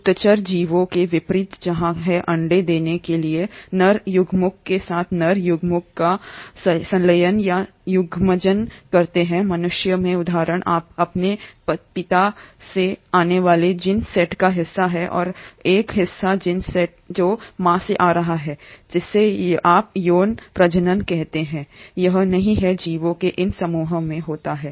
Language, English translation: Hindi, Unlike higher organisms where there is fusion of the male gamete with the female gamete to form an egg or the zygote say for example in humans you have part of the gene set coming from your father and a part of the gene set is coming from the mother, that is what you call as sexual reproduction, that does not happen in these group of organisms